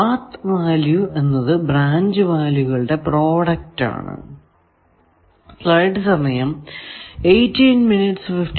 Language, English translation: Malayalam, Path value, product of branch values in the path